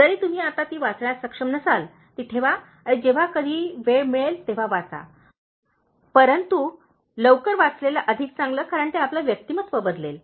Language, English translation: Marathi, Even, if you are not able to read them now, keep them and read them whenever you get time, but, the earlier, the better, because it’s your personality that will change